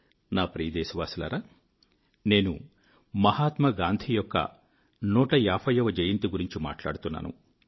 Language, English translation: Telugu, My dear countrymen, I'm referring to the 150th birth anniversary of Mahatma Gandhi